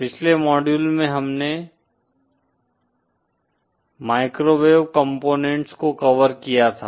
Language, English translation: Hindi, In the previous module we had covered microwave components